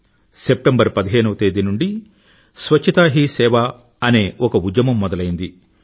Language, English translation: Telugu, A movement "Swachhta Hi Sewa" was launched on the 15thof September